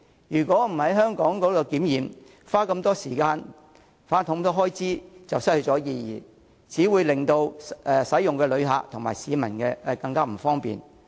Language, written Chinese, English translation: Cantonese, 如果不在香港檢測，花這麼多時間和開支就會失去意義，只會令乘車的旅客及市民更不便。, If the immigration and custom clearance procedures will not be completed in Hong Kong the construction time spent and cost incurred will be meaningless . It will also bring inconvenience to passengers and residents taking the trains